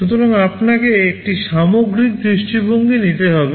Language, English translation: Bengali, So, you will have to take a holistic view